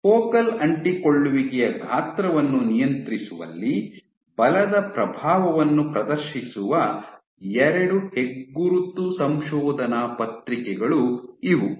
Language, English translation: Kannada, These were 2 landmark papers which demonstrated the influence of forces in regulating focal adhesion size